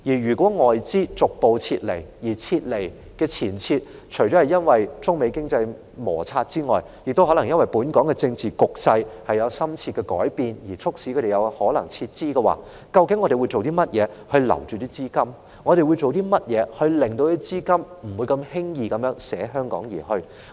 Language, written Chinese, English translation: Cantonese, 如果外資逐步撤離香港，而促使他們撤離的原因，除了中美貿易摩擦外，亦可能是本港政治局勢有深切的改變的話，究竟我們會做甚麼來留住這些外國資金，令他們不會輕易捨香港而去？, If foreign capital gradually retreats from Hong Kong as a result of not just China - United States trade frictions but also a possible profound change in the political situation of Hong Kong what exactly will we do to retain these foreign funds and stop them from simply leaving Hong Kong?